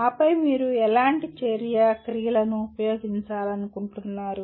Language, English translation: Telugu, And then what kind of action verbs do you want to use